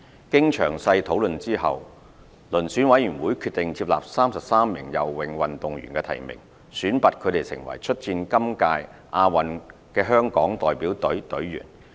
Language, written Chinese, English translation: Cantonese, 經詳細討論後，遴選委員會決定接納33名游泳運動員的提名，選拔他們成為出戰今屆亞運會的香港代表隊隊員。, After detailed discussion the Selection Committee accepted the nominations of 33 swimming athletes and selected them as part of the Delegation